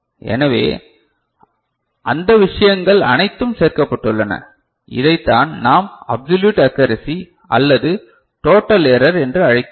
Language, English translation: Tamil, So, all those things included, what you come up with is called the total error or absolute accuracy